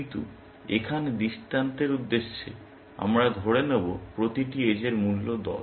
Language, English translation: Bengali, But for the illustration purposes here, we will assume the cost of every edge is 10